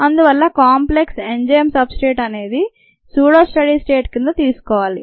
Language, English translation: Telugu, take the enzyme substrate complex to be at pseudo steady state